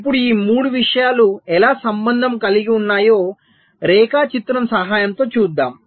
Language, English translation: Telugu, now let us see, with the help of a diagram, how these three things are related